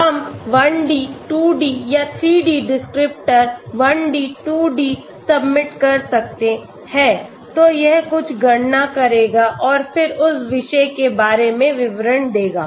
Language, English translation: Hindi, We can do either 1 D, 2 D or 3 D descriptor, 1 D, 2 D submit, so it will do some calculations and then give the details about that particular